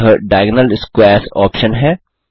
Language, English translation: Hindi, This is the Diagonal Squares option